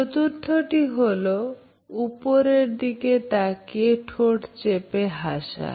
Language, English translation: Bengali, Number 4; sideways looking up smile